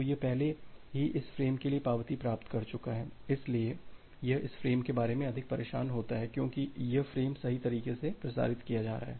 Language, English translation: Hindi, So, it has already received the acknowledgement for this frame so, it does not bother about this frame anymore because this frame has correctly being transmitted